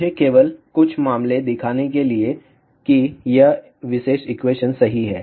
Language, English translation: Hindi, Let me take a few cases just to show that this particular equation is right